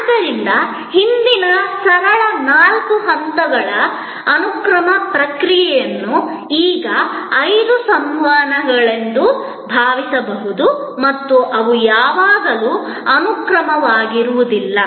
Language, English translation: Kannada, So, that earlier simple four steps sequential process can be now thought of as five blocks of interaction and they are not always sequential